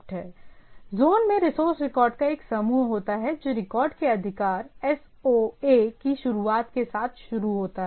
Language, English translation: Hindi, So, a zone consists of a group of resource record beginning with a start of authority SOA of the record